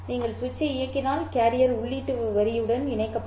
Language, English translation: Tamil, You turn the switch on, carrier will be connected to the output line